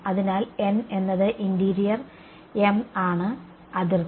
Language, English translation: Malayalam, So, n is interior m is boundary